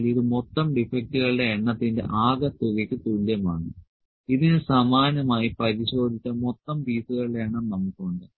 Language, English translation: Malayalam, So, this is equal to sum of total number of defects, and similar to this we have total number of species which are inspected